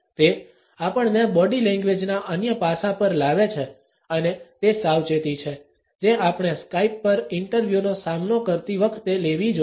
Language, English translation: Gujarati, It brings us to another aspect of body language and that is the precautions which we should take while facing an interview on Skype